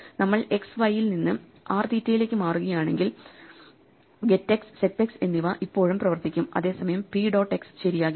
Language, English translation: Malayalam, If we move x, y to r, theta, get x and set x will still work, whereas p dot x may not be meaningful anymore